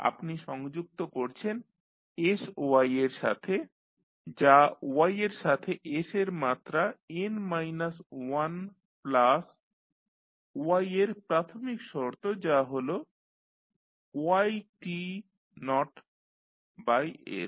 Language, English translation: Bengali, You are connecting with sy is connected with y with s to the power n minus1 plus the initial condition for y that is y t naught by s